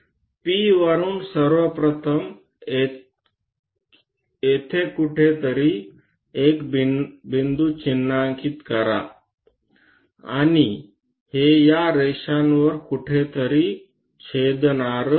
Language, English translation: Marathi, From P first of all mark a point somewhere here and this one going to intersect somewhere on this lines